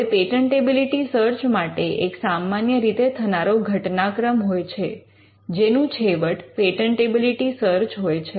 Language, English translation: Gujarati, Now, in a patentability search, there are a series of events that normally happens which culminates into a patentability search